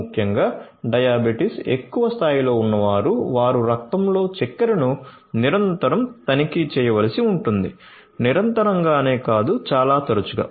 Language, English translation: Telugu, Particularly, the ones who have higher degrees of diabetes; they have to they are required to check the blood sugar continuously, not continuously but quite often